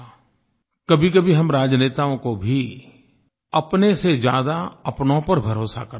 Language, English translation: Hindi, At times we political leaders should trust our people more than we trust ourselves